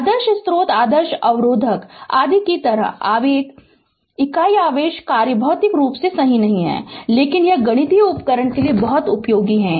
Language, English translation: Hindi, Like ideal sources ideal resistor etc right, the unit impulse function is not physically realizable right, but it is very useful for mathematical tool